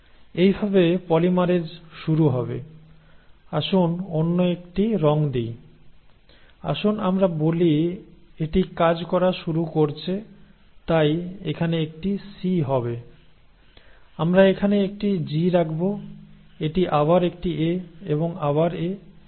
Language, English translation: Bengali, So this is how the polymerase will start, so let us give another colour, so let us say it starts acting so it will put a C here, we will put a G here, it is an A here and A again